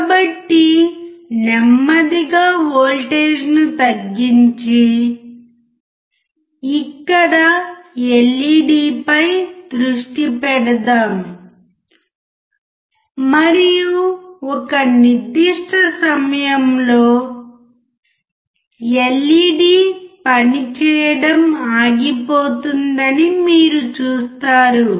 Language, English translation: Telugu, So, let us slowly decrease the voltage and focus here on the LED and you will see that at certain point, LED stops working